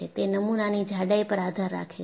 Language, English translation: Gujarati, It depends on thickness of the specimen also